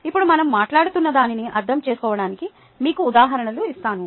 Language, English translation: Telugu, now let me give you examples to understand whatever we have been talking about